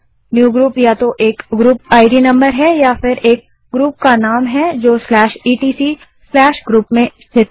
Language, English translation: Hindi, Newgroup is either a group ID number or a group name located in /etc/group